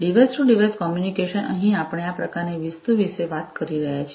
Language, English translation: Gujarati, Device to device communication here we are talking about this kind of thing